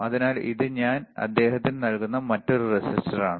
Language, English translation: Malayalam, So, this is another resistor that I am giving it to him